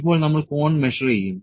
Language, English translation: Malayalam, Now, we will measure the cone